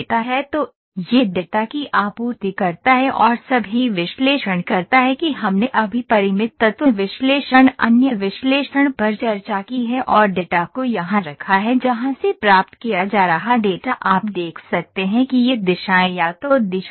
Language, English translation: Hindi, So, it supplies the data and does all the analysis that we just discussed Finite Element Analysis other analysis and put the data here for where this data being received you can see the directions this is in either directions